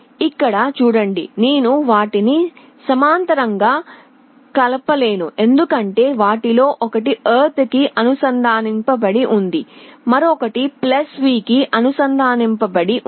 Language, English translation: Telugu, See here I cannot combine them in parallel because one of them is connected to ground other is connected to +V